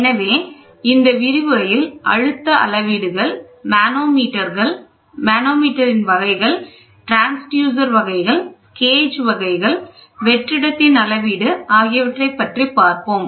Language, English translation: Tamil, So, in this lecture, we would like to cover pressure measurements, types of the manometers, types of transducer, types of gauges, measurement of vacuum which is very, very important